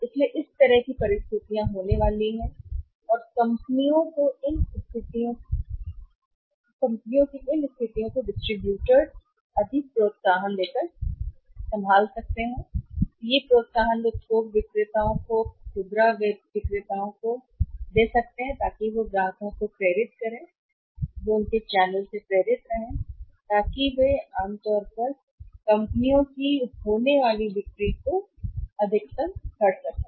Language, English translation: Hindi, So, that kind of the situations are going to be there so companies handle these situations also by giving extra incentives to the distribution channels to the distributors to the wholesalers to the retailers so that they motivate the customers or their channels remain motivated so that they can maximize the sales of the companies that normally happens